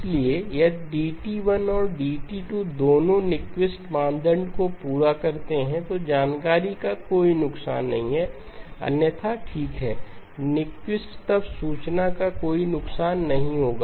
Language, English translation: Hindi, So both if DT1 and DT2 satisfy Nyquist criterion, then there is no loss of information, otherwise there will be okay, Nyquist then no loss of information okay